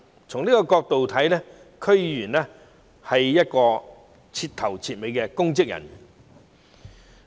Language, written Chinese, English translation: Cantonese, 從這些角度來看，區議員是徹頭徹尾的公職人員。, Judging from these DC members are public officers through and through